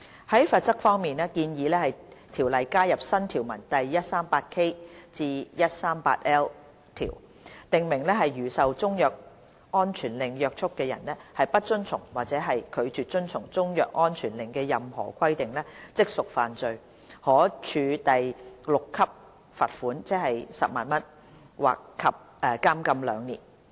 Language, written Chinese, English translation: Cantonese, 在罰則方面，建議《條例》加入新條文第 138K 至 138L 條，訂明如受中藥安全令約束的人不遵從或拒絕遵從中藥安全令的任何規定，即屬犯罪，可處第6級罰款，即10萬元及監禁兩年。, As regards the penalty the Bill proposes to add new sections 138K to 138L to CMO to provide that a person bound by a CMSO who fails or refuses to comply with any requirements set out in the CMSO commits an offence and is liable to a fine at level 6 and to imprisonment for two years